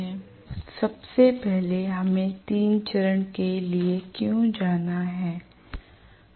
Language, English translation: Hindi, Now first of all why do we have to go for 3 phase